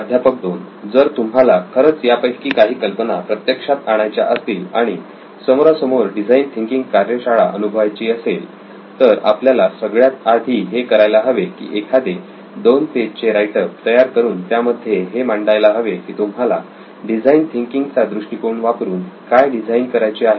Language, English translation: Marathi, So if you are interested in trying to put some of these ideas into practice and attending a face to face design thinking workshop then what we should do is first come up with a 2 page write up, a 2 page proposal where you think of something that you would like to design using a design thinking approach